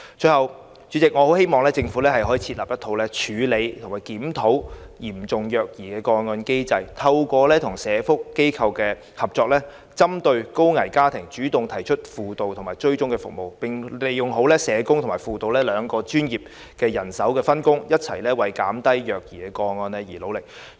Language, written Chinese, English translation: Cantonese, 最後，代理主席，我很希望政府設立處理及檢討嚴重虐兒個案的機制，透過與社福機構合作，針對高危家庭主動提供輔導及追蹤服務，並利用好社工與輔導兩種專業人手的分工，一起為減低虐兒個案而努力。, Finally Deputy President I very much hope that the Government can draw up a mechanism to deal with and review serious child abuse cases; proactively provide through collaboration with social welfare institutions counselling and follow - up services particularly to potentially high - risk families; and through clear division of duties between the professionals in social work and those in counselling strive together to reduce the number of child abuse cases